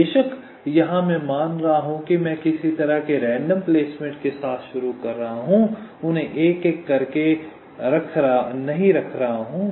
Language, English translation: Hindi, of course, here i am assuming that i am starting with some kind of a random placement, not placing them one by one